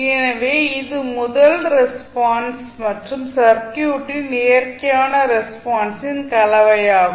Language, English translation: Tamil, So, this is nothing but a combination of first response and natural response of the circuit